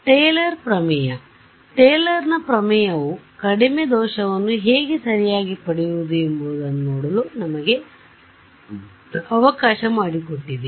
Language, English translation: Kannada, Taylor’s theorem; Taylor’s theorem allowed us to see how to get the lowest error right